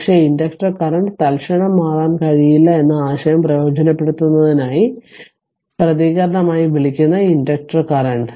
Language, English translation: Malayalam, Select the inductor current as the response in order to take advantage of the idea that the inductor current cannot change instantaneously right